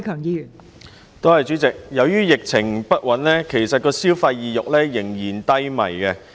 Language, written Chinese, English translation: Cantonese, 由於疫情不穩，消費意欲其實依然低迷。, Given that the epidemic situation remains unstable local consumer sentiment stays low